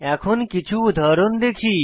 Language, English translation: Bengali, Let us look at some examples